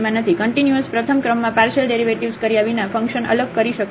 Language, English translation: Gujarati, A function can be differentiable without having continuous first order partial derivatives